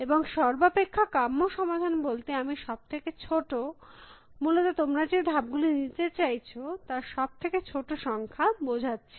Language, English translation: Bengali, And by optimal solutions, I mean the shortest, the smallest number of moves that you need to make essentially